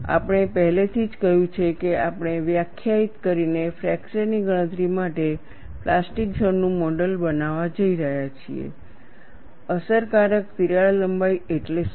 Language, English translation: Gujarati, Now, what we will do is, we have already said that, we are going to model the plastic zone from further fracture calculation, by defining what is an effective crack length